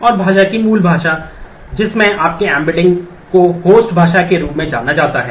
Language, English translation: Hindi, And the language native language in which your embedding is called the is known as a host language